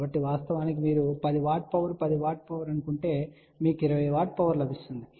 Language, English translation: Telugu, So in fact you can actually feed let us say a 10 watt of power 10 watt of power you will get 20 watt of power